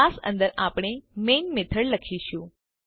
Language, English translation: Gujarati, Inside the class, we write the main method